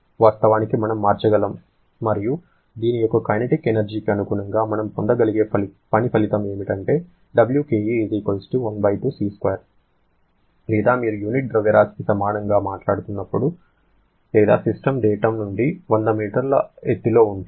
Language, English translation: Telugu, Now, can you convert this velocity to work of course we can convert and corresponding work output that we can get corresponding to the kinetic energy of this one is 1/2 C square or if you are talking per unit mass of course or if the system is some elevation of 100 meter from the datum